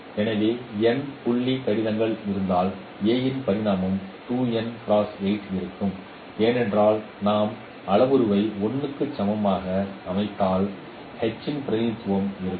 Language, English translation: Tamil, So if there are n point correspondences so dimension of a dimension of e would be 2 n cross 8 because if we set the parameter H3 equals 1, so the representation of H would be h tilde 1